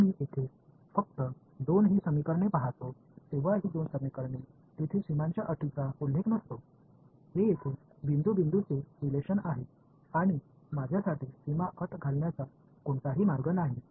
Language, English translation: Marathi, When I look at just these two equations over here these two equations there is no mention of boundary conditions right; this is a point by point relation over here and there is no way for me to impose the boundary condition